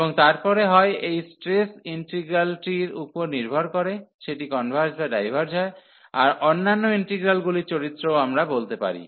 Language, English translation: Bengali, And then either depending on these stress integral whether that that converges or the diverges, the other integral the behavior of the other integral we can conclude